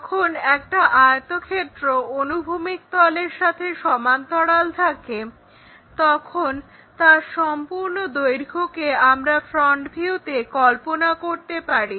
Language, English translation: Bengali, When this rectangle is parallel to horizontal plane, the complete length of this rectangle one can visualize it in the front view